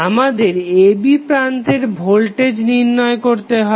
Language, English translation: Bengali, We have to find out the voltage across terminal a and b